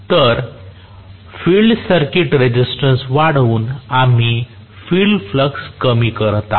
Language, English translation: Marathi, So, increasing by increasing the field circuit resistance we are reducing the field flux